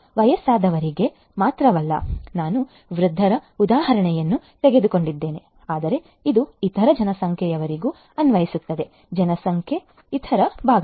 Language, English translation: Kannada, Not only elderly people, I took the example of elderly people, but this also applies for the other population as well; other parts of the population as well